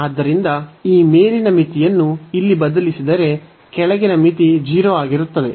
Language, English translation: Kannada, So, substituting this upper limit here, the lower limit will make anyway this 0